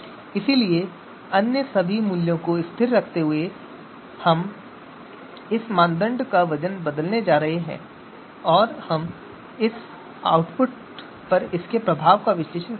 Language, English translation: Hindi, So keeping all other values constant, we are going to change the you know weight for this criterion renting cost and we’ll analyze the impact on the model output